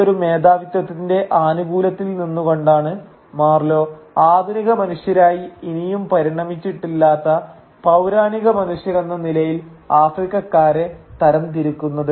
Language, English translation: Malayalam, And it is from that apparent vantage point of superiority that Marlow classifies the Africans that he sees as prehistoric who are yet to evolve into modern human beings